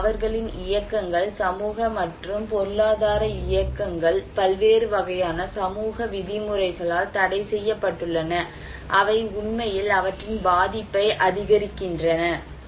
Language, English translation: Tamil, So, their movements, social and economic movements are restricted because of various kind of social norms which actually increase their vulnerability